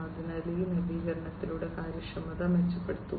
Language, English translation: Malayalam, So, improve upon the efficiency through this innovation